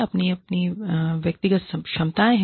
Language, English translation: Hindi, They have their own, individual capabilities